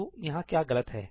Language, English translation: Hindi, So, what is wrong here